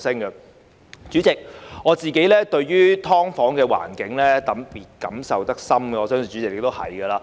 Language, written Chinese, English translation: Cantonese, 代理主席，我對於"劏房"的環境感受特別深，我相信代理主席亦如是。, Deputy President I have particularly strong feelings about the environment of SDUs and I believe the Deputy President will feel the same